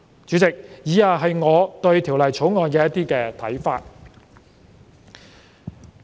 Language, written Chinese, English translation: Cantonese, 主席，以下是我對《條例草案》的看法。, President the following are my views on the Bill